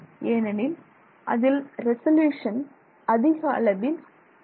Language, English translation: Tamil, That is because the resolution is not high